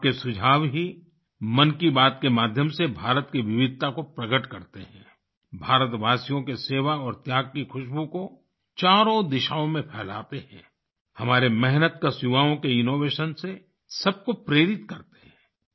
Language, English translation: Hindi, It is your suggestions, through 'Mann Ki Baat', that express the diversity of India, spread the fragrance of service and sacrifice of Indians in all the four directions, inspire one and all through the innovation of our toiling youth